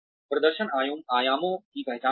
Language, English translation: Hindi, Identifying performance dimensions